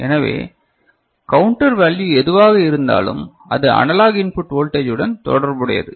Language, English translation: Tamil, So, whatever is the counter value is something which is related to the analog input voltage